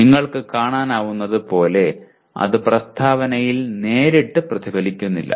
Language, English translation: Malayalam, As you can see it does not directly get reflected in the statement